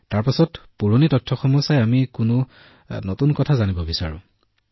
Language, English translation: Assamese, Then after seeing the old records, if we want to know any new things